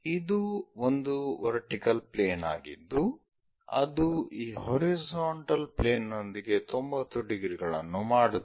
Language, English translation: Kannada, So, this is vertical plane which is making 90 degrees with the horizontal plane and horizontal plane is this